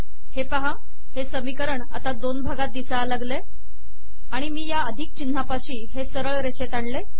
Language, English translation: Marathi, See that this equation has been broken into two parts and I am aligning it with the plus sign